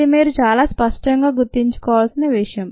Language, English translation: Telugu, this is something that you need to remember very clearly